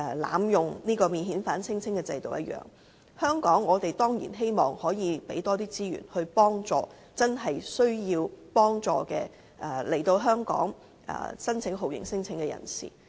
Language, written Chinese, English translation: Cantonese, 例如免遣返聲請制度，我們當然希望可以提供更多資源，幫助來到香港真正需要申請酷刑聲請的人。, Take the system for lodging non - refoulement claims as an example . We certainly hope that we can provide more resources to help those who have come to Hong Kong with genuine needs for lodging torture claims